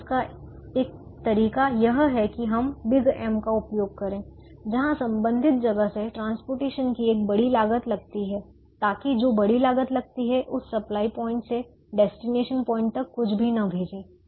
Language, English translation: Hindi, so one of the ways to model is to put a big m, a large cost of transporting from that place to the corresponding destination, so that because of the large cost that we have put in, we will not send anything from that supply point to that destination point